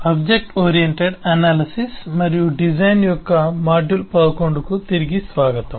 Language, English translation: Telugu, welcome back to module 11 of object oriented analysis and design